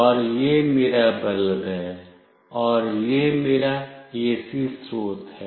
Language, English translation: Hindi, And this is my bulb, and this is my AC source